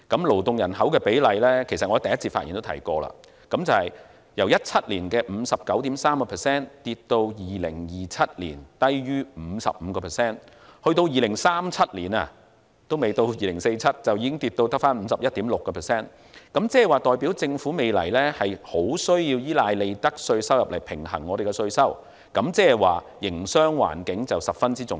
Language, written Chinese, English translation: Cantonese, 勞動人口的比例——我在首次發言也提過——由2017年的 59.3% 跌至2027年低於 55%； 到了2037年，還未到2047年，已跌至 51.6%， 代表政府未來很需要依賴利得稅收入來平衡稅收，這表示營商環境十分重要。, As I mentioned in my first speech the proportion of labour force in the total population will drop to a level below 55 % in 2027 from 59.3 % in 2017 and further to 51.6 % by 2037 ahead of 2047 . This indicates that the Government badly needs to rely on profits tax revenues to balance taxes in the future and hence accentuates the importance of the business environment